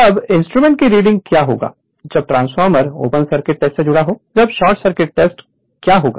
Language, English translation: Hindi, Now what would be the readings of the instrument when the transformer is connected for open circuit test, then short circuit tests